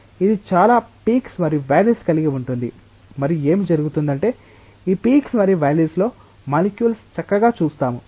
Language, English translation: Telugu, So, it will have lots of peaks and valleys and what will happen is that the molecules will nicely see it on these peaks and valleys